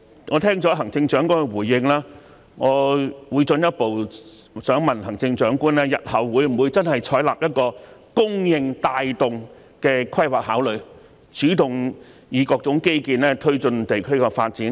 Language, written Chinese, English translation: Cantonese, 我聽到行政長官的回應後，想進一步問行政長官日後會否採納供應帶動的規劃考慮，主動以各種基建推進地區的發展？, Having listened to the Chief Executives response I would like to further put a question to the Chief Executive . Will the Government adopt a supply - driven approach in its planning consideration in future and proactively make use of various infrastructure projects to promote the development of the districts?